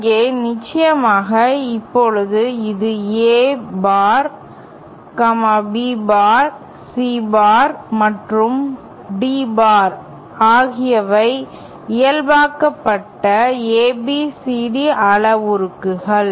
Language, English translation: Tamil, Here of course, now this is A bar, B bar, C bar and D bar are the normalised ABCD parameters